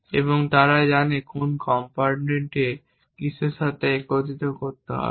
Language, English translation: Bengali, And they know which component has to be assembled to what